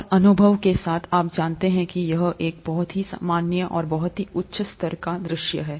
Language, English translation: Hindi, And with experience, you know that it is a very valid and a very high level kind of a view